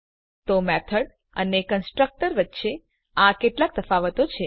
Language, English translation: Gujarati, So this were some differences between constructor and method